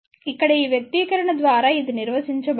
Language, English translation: Telugu, That is defined by this expression over here